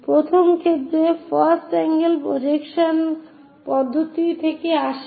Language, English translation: Bengali, In the earlier case in the first angle projection system